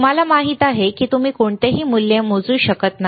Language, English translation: Marathi, Is it you know you cannot measure any value